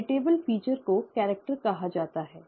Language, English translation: Hindi, Heritable feature is called the character